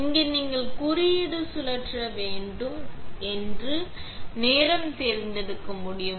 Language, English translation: Tamil, Here you can select the time that you need to spin code